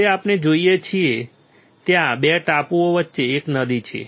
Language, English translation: Gujarati, Now, what we see is, there is a river in between 2 islands